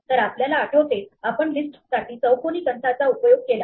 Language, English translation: Marathi, So, remember we use square brackets for list